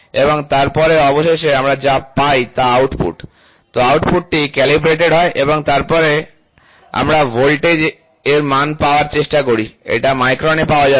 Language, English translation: Bengali, And then finally, what we get is the output, this output is calibrated and then we try to get what is the voltage what is the magnitude, so this will be in microns